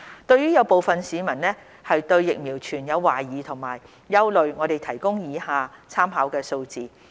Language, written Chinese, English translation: Cantonese, 對於有部分市民對疫苗存有懷疑和憂慮，我提供以下參考數字。, Some members of the public have expressed doubts and concern about the vaccines . In this connection I would like to provide the following figures for reference